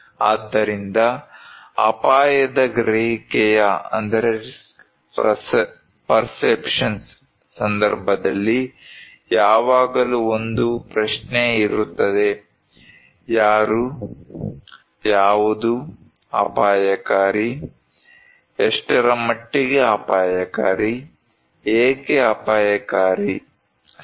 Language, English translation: Kannada, So, in case of risk perception, always there is the question; who, what is risky, what extent is risky, why risky, right